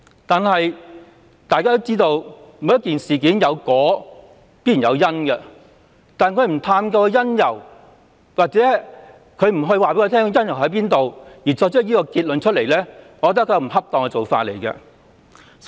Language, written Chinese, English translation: Cantonese, 但大家都知道，每件事有果自必然有因，行政機關不探究或不告知當中的因由便作出這個結論，我覺得這是不恰當的。, However as known to all there must be a cause for every outcome in each incident . The Executive Authorities drew a conclusion without exploring or telling us the cause . I find this practice inappropriate